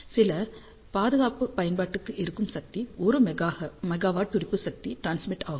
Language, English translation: Tamil, For some of the defense application power transmitted maybe 1 megawatt pulse power